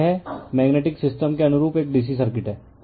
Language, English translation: Hindi, So, it is a DC circuit analogous of magnetic system right